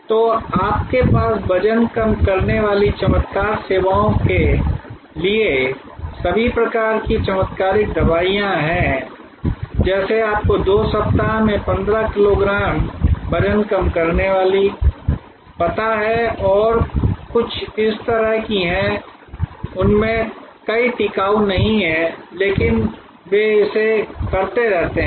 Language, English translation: Hindi, So, you have all kinds of miracle drugs for weight loss miracle services for you know 15 kgs in 2 weeks and something like that many of those are them are not sustainable, but keep on doing it